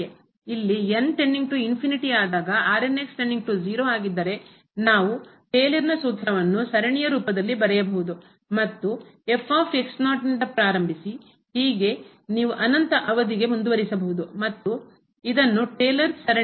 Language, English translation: Kannada, If this reminder goes to 0 as goes to infinity then we can write down that Taylor’s formula in the form of the series so and so on you can continue for infinite term and this is called the Taylor series